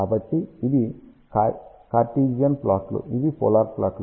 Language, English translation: Telugu, So, this is the Cartesian plot this is polar plot